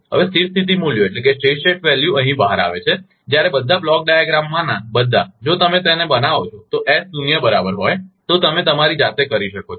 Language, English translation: Gujarati, Now, steady state values out here when all the, all the in the block diagram, if you make it is S is equal to zero, you can do yourself